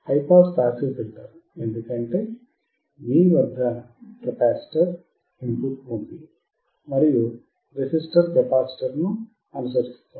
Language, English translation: Telugu, High pass passive filter is a filter, because your capacitor is at the input and resistor is following the capacitor